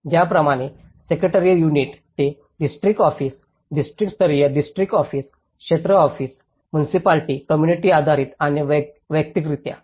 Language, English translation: Marathi, Similarly, the central office to the secretarial unit, district level, district office, area office, municipality, community based and individually